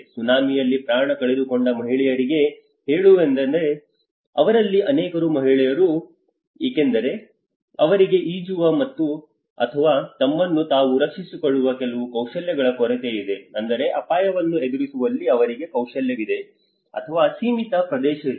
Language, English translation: Kannada, Let us say for women who have lost their lives in the tsunami many of them were woman because they are lack of certain skills even swimming or protecting themselves so which means there is a skill or there is a limited access for them in facing the risk, facing that particular shock